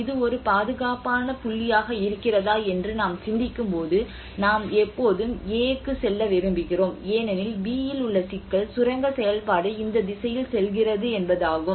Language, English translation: Tamil, Obviously when we think about if it is a safer point we always prefer yes we may move to A because in B the problem is the mining activity is going in this direction